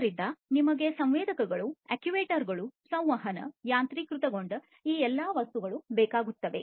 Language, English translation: Kannada, So, we need sensors, actuators, communication, automation all of these things